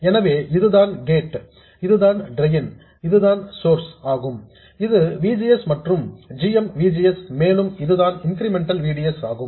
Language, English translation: Tamil, So, this is the gate, this is the drain, and this is the source, this is VGS and this is GM VGS, and this is the incremental VDS